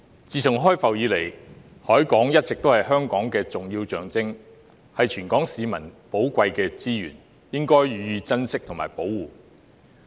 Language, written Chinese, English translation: Cantonese, 自從開埠以來，海港一直是香港的重要象徵，是全港市民的寶貴資源，應予以珍惜和保護。, Since the inception of Hong Kong the harbour has been its significant symbol . Being a valuable resource for all the people of Hong Kong it should be cherished and protected